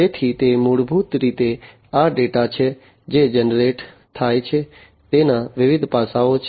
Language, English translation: Gujarati, So, it is basically this data that is generated, it is it has different facets